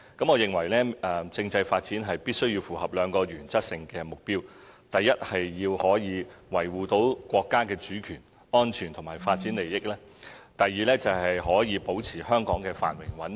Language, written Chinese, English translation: Cantonese, 我認為政制發展必須符合兩個原則性的目標：第一，可以維護國家的主權、安全和發展利益；及第二，可以保持香港的繁榮和穩定。, In my opinion the constitutional development must follow two guiding objectives firstly to uphold the sovereignty security and interests of the State; secondly to maintain the prosperity and stability of Hong Kong